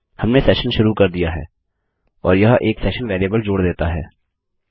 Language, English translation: Hindi, Weve started the session and this lets us add a session variable